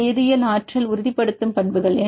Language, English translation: Tamil, Physical, chemical, energetic, confirmation properties